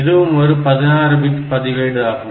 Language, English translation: Tamil, So, that will constitute another 16 bit